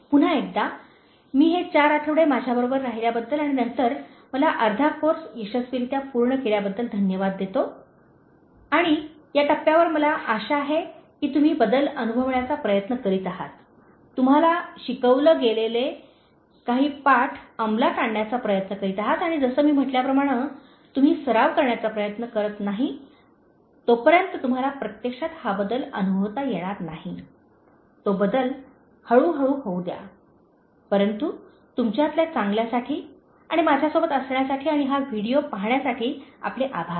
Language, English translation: Marathi, Once again, I thank you for being with me for this four weeks and then making me successfully complete half of the course and at this stage I hope that you are trying to experiencing the change, you are trying to implement some of the lessons that have been taught to you and as I said unless you try to practice, so you will not experience the change actually, let that change happen gradually, but for the better in you, and thank you so much for being with me and watching this video